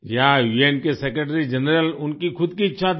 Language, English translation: Hindi, Yes, it was the wish of the Secretary General of the UN himself